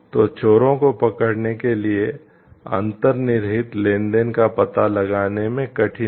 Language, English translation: Hindi, So, and it is the difficulty of tracing the underlying transactions to get hold of the thieves